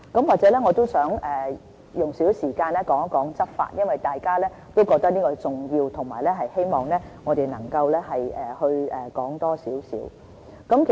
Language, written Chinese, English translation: Cantonese, 我也想用一點時間談一談執法，因為大家都覺得這是重要的，並希望我們多談一些。, I wish to bring up the question of law enforcement as Members attach great importance to this subject asking that we can talk more about this